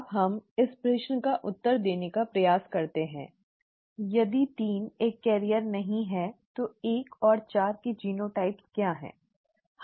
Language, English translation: Hindi, Now let us try to answer this question; if 3 is not a carrier what are the genotypes of 1 and 4